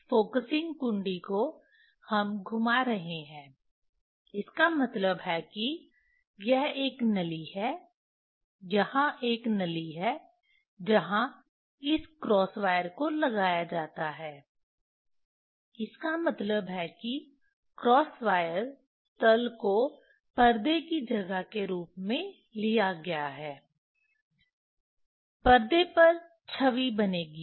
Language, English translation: Hindi, this focusing knob we are rotating means this there is a tube, there is a tube where this cross wire is put means that cross wire plain is taken as a as a screen position, image will form on the screen